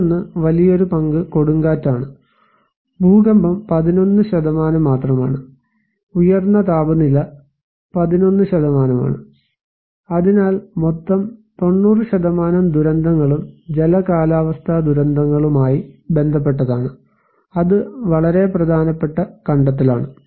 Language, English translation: Malayalam, Another one is also big share is the wind storm, earthquake is only 11%, an extreme temperature is 11%, so overall 90% of disasters are related to hydro meteorological disasters, that is very important finding